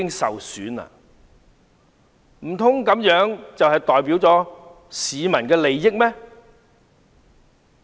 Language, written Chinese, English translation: Cantonese, 難道他們這樣做是代表市民的利益嗎？, How could they represent the interests of the people by doing so?